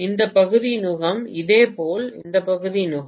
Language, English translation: Tamil, This portion is the yoke, similarly this portion is the yoke